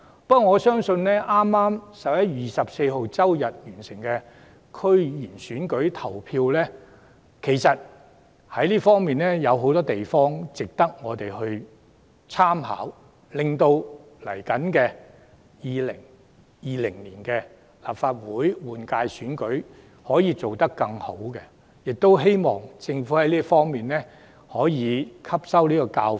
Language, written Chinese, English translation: Cantonese, 不過，我相信剛於11月24日完成的區議會選舉，有很多地方值得我們參考，令2020年舉行的立法會選舉可以做得更好，我希望政府能從中汲取教訓。, However I believe that there was a lot we could learn from the District Council DC Election held on 24 November so that improvements can be made for the 2020 Legislative Council Election . I hope the Government will draw lessons from the DC Election